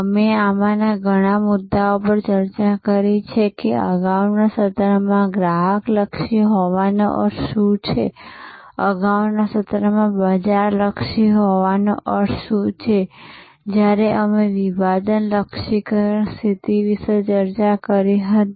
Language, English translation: Gujarati, We have discussed many of these issues that what does it mean to be customer oriented in the earlier sessions, what does it mean to be market oriented in the earlier session about when we discussed about segmentation, targeting, positioning